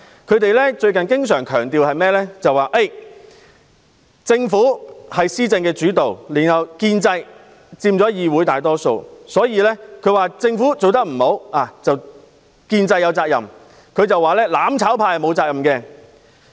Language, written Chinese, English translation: Cantonese, 他們最近經常強調，政府是施政主導，建制派又佔議會大多數，認為政府做得不好，建制派有責任，"攬炒派"沒有責任。, Recently they often emphasize that the Government is executive - led and that the pro - establishment camp makes up the majority of the Council . Hence the pro - establishment camp but not the mutual destruction camp is responsible for the unsatisfactory performance of the Government